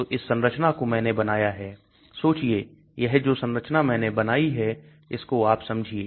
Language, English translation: Hindi, So this is a structure I have drawn imagine this the structure I have drawn you understand